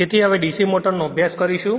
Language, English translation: Gujarati, So, we start with DC motors